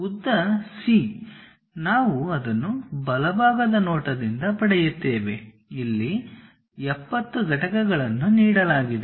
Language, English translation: Kannada, The length C we will get it from the right side view, 70 units which has been given